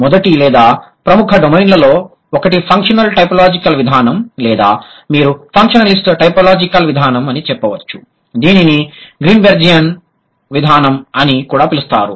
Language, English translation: Telugu, First would be or one of the prominent domains at the functional typological approach or you can say functional list typological approach which is also known as Greenbergian approach